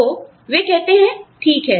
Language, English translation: Hindi, So, they say okay